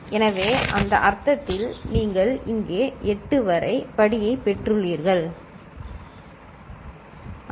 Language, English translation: Tamil, So, in this sense you have got x to the power 8 up to here, right